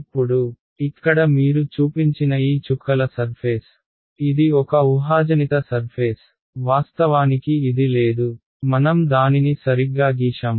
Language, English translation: Telugu, Now, this dotted surface which I have shown you over here it is a hypothetical surface, it does not actually exist I have just drawn it right